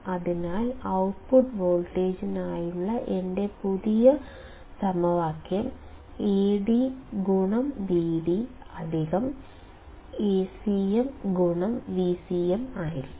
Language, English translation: Malayalam, So, my new formula for the output voltage will be Ad into Vd plus Acm into V cm